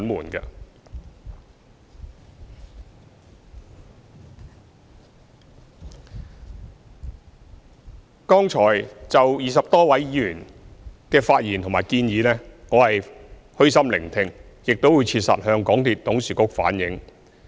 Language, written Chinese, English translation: Cantonese, 對於剛才20多位議員的發言和提出的建議，我是虛心聆聽的，亦會切實向港鐵公司董事局反映。, For the speeches and suggestions earlier made by the 20 - odd Members I have listened humbly to them and will relay them to the board of directors of MTRCL accurately